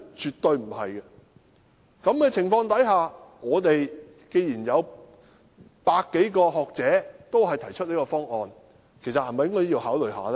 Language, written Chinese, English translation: Cantonese, 在這種情況下，既然有百多名學者均提出這個方案，其實是否應該考慮一下呢？, Against this backdrop while such a proposal is backed by some 100 scholars should it actually not be given some thought?